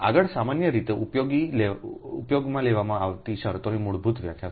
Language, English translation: Gujarati, next is basic definitions of commonly used terms, right